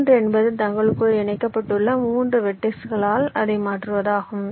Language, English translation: Tamil, three means you replace it by three vertices which are connected among themselves